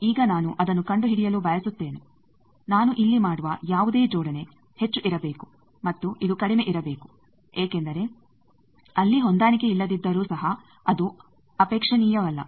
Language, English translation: Kannada, Now I want to find that this should be I whatever coupling I am making here and this should be low because even if there is a mismatch that is not desirable